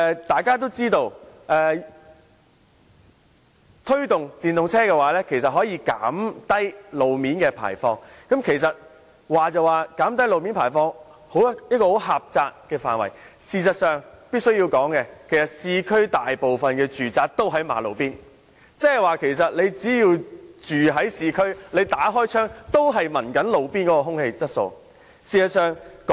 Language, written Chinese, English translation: Cantonese, 大家也知道推動使用電動車有助減低路面的廢氣排放，雖說路面範圍狹窄，但我必須提醒大家，市區大部分的住宅均是位於馬路邊，即居住在市區的人士打開窗戶後，所吸入的也是路邊的空氣。, We all know that promoting the use of EVs can help reduce roadside waste emissions . The road surface does not cover a large area but we have to note that most residential buildings in the urban areas are located near roadside so urban dwellers are exposed to roadside air when they open their windows